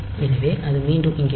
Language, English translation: Tamil, So, it will be coming back here